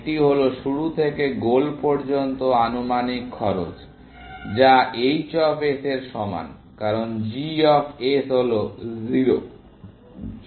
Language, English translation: Bengali, That is the estimated cost from start to goal, as which is equal to h of s, because g of s is 0